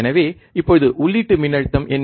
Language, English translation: Tamil, So, what is the input voltage now